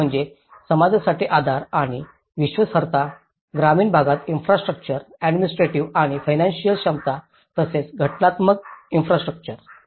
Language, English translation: Marathi, One is supporting and gaining credibility for the community, infrastructure spread throughout the rural areas, administrative and financial capacity coupled with organizational infrastructure